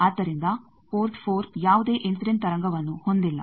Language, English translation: Kannada, So, port 4 does not have any incident wave